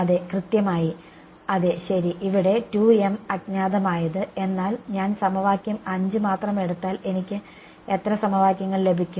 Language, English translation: Malayalam, Yeah exactly so, yeah ok so, 2 m unknowns over here, but if I take only equation 5 how many equations will I get